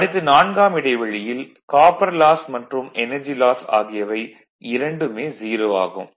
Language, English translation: Tamil, So, interval four, 4 hours no load copper loss is 0 energy loss is 0